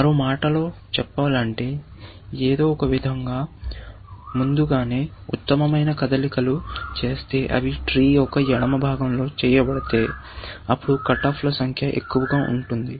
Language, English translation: Telugu, In other words, if somehow, the best moves are made earlier, if they are made in the left part of the three, then the number of cut offs will be more